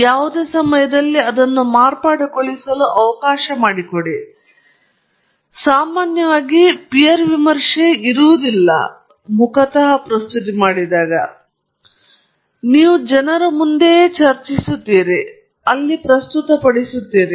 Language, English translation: Kannada, It’s not peer reviewed in general, any time you present it, I mean, you are just there, you are discussing with people in front of you, and you are presenting it